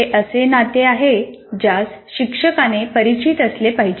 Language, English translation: Marathi, That is a relationship that one should be, a teacher should be familiar with